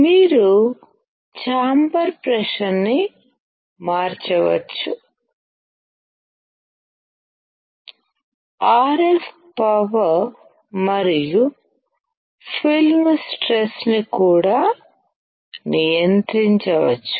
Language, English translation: Telugu, You can change the chamber pressure, RF power and film stress can also be controlled